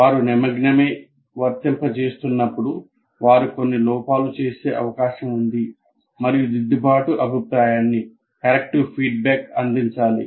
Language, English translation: Telugu, While they are doing it, there is a possibility they may be making some errors and the corrective feedback has to be provided